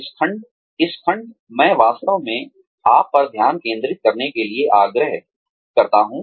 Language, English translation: Hindi, This section, I would really urge you to, focus on